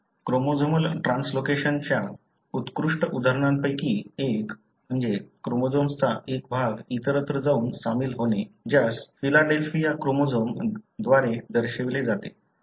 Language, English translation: Marathi, One of the classic examples of chromosomal translocation, a region of the chromosome going and joining elsewhere is represented by the so called Philadelphia chromosome